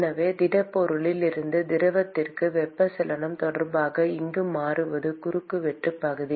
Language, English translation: Tamil, And therefore, what is changing here with respect to convection from the solid to the fluid is the cross sectional area